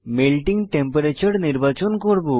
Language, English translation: Bengali, I will select Melting Temperature chart